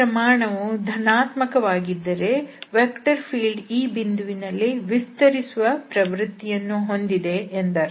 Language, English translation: Kannada, So, if it is coming to be like positive that means, at that point the tendency of the vector field is for the expansion